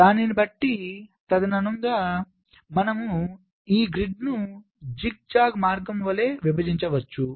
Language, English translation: Telugu, so accordingly you split this grid like the zigzag path